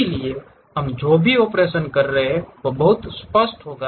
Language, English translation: Hindi, So, whatever the operations we are doing it will be pretty clear